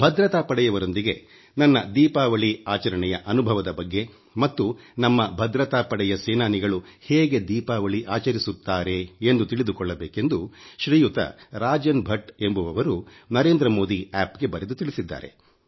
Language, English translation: Kannada, Shriman Rajan Bhatt has written on NarendramodiApp that he wants to know about my experience of celebrating Diwali with security forces and he also wants to know how the security forces celebrate Diwali